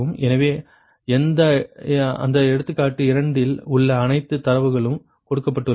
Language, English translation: Tamil, so all data in that example two are given right